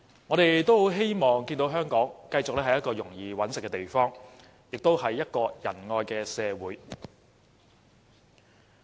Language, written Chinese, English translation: Cantonese, 我們希望看見香港繼續是一個容易謀生的地方，也是一個仁愛的社會。, Apart from being a place where one can easily make a living we also want Hong Kong to be a place of compassion